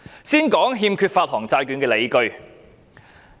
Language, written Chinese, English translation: Cantonese, 先說說欠缺發行債券的理據。, Let me first talk about the lack of justifications for issuance of bonds